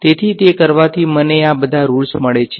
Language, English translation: Gujarati, So, doing that gives me all of these rules right